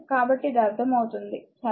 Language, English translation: Telugu, So, it is understandable to you, right